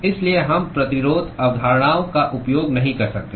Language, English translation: Hindi, So, we cannot use resistance concepts